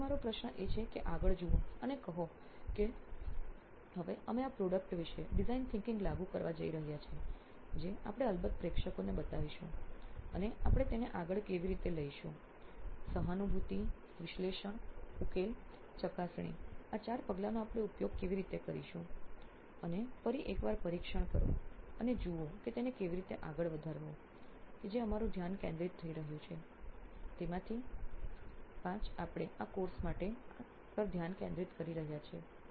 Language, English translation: Gujarati, So now my question will be to look ahead and say now we are going to apply design thinking as such on this product which we will show to the audience of course and how do we take this forward and how do we use this four steps of empathize, analyze, solve and test again one more time and see how to move it forward that is going to be our focus the 5 of us are going to focus on this for this course